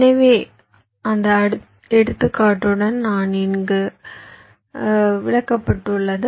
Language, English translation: Tamil, so whatever i have just worked out with that example is explained here